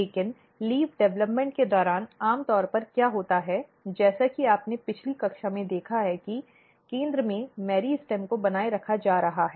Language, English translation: Hindi, But what happens generally during the leaf development, as you have seen in the previous class that the meristem is being maintained here in the center